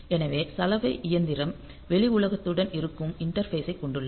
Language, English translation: Tamil, So, washing machine has got the interfaces which are to the outside world